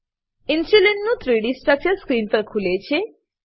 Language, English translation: Gujarati, 3D Structure of Insulin opens on screen